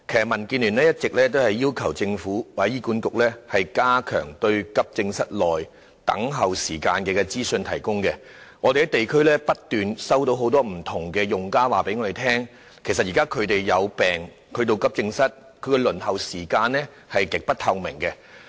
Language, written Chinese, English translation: Cantonese, 民建聯一直要求政府或醫管局加強提供有關急症室內輪候時間的資訊，我們在地區收到很多不同用家反映，指現時當他們到急症室求診時，他們要輪候的時間是極不透明的。, The Democratic Alliance for the Betterment and Progress of Hong Kong has all along been urging the Government or HA to enhance the provision of information on waiting time at AE departments . We have received many feedbacks from users at the district level . They find the transparency of the waiting time extremely low when they seek consultation at AE departments